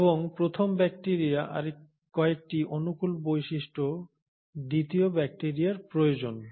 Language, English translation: Bengali, And the second bacteria requires certain favourable features of the first bacteria